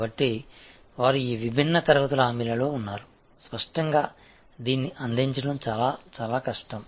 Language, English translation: Telugu, So, they are at this difference classes of guarantees; obviously, it is very, very difficult to ah provide this